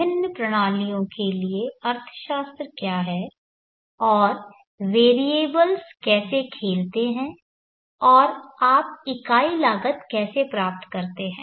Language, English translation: Hindi, What are the economics for the various systems and how do the variables play and how do you obtain the unit cause